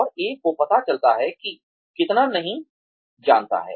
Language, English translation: Hindi, And, one realizes, how much one does not know